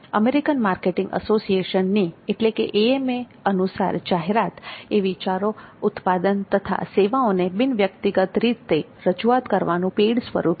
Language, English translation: Gujarati, According to the American Marketing Association AMA advertising is the paid form of non personal presentation of ideas, goods and services